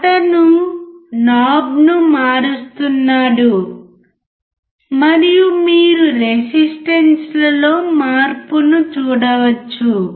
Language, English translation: Telugu, He is turning the knob and you can see the change in resistance